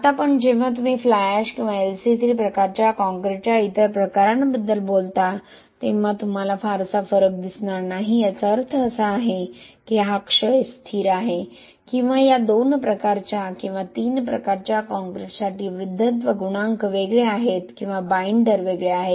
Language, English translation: Marathi, Now but when you talk about the other type of either fly ash or LC 3 type concrete you do not see much difference that means that this decay constant or the ageing coefficient for this 2 types or 3 types of concrete are different or binders are different